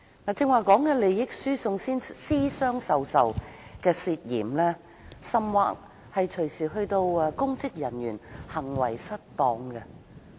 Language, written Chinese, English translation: Cantonese, 我剛才提到的涉嫌利益輸送和私相授受等事情，其實隨時可能涉及公職人員行為失當。, The suspected transfers of benefits and secret deals that I just said may actually involve misconduct in public office